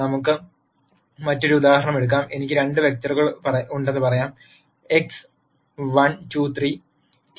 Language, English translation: Malayalam, Let us take another example let us say I have 2 vectors, X 1, 2, 3, transpose and Y is 2, 4, 6